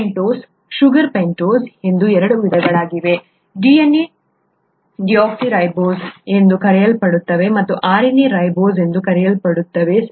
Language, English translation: Kannada, The pentose sugars are of two kinds, DNA has what is called a deoxyribose and RNA has what is called a ribose, okay